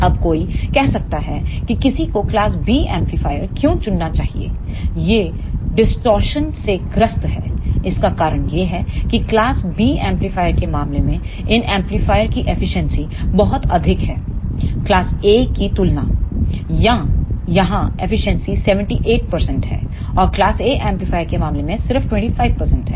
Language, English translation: Hindi, Now, one may say why one should choose class B amplifier is it suffers from the distortion, the reason is that in case of class B amplifier the efficiency of these amplifier is much higher as compared to class A amplifier here the efficiency is 78 percent and in case of class A amplifier it is just 25 percent